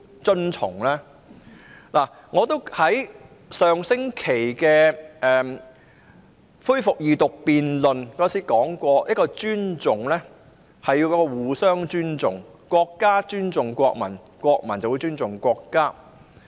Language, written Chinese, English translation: Cantonese, 正如我在上星期恢復二讀辯論時提出，尊重是雙方的，是要互相尊重的，國家尊重國民，國民便會尊重國家。, As I pointed out during the resumed Second Reading debate last Tuesday respect is two - way and it has to be mutual . When the state respects the people the people will respect the state